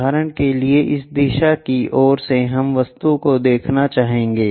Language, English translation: Hindi, For example, from this directions side direction we will like to see the object